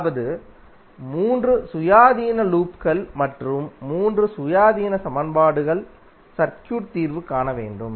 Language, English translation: Tamil, That means that 3 independent loops and therefore 3 independent equations are required to solve the circuit